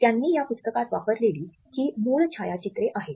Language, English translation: Marathi, They are the original photographs which he had used in this book